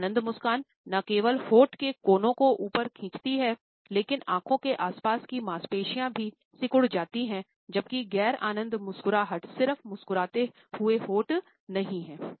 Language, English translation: Hindi, An enjoyment smile, not only lip corners pulled up, but the muscles around the eyes are contracted, while non enjoyment smiles no just smiling lips